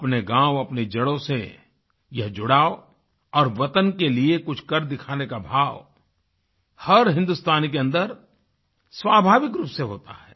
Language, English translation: Hindi, A sense of belonging towards the village and towards one's roots and also a spirit to show and do something is naturally there in each and every Indian